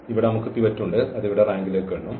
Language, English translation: Malayalam, Here we have pivot so that will go count to the rank here